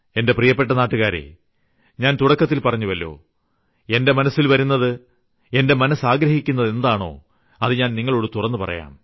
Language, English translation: Malayalam, My dear countrymen, I had even said earlier that whatever comes to mind, I want to express it with you openly